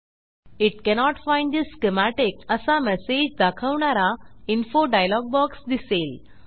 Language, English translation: Marathi, An info dialog box will appear which says that it cannot find the schematic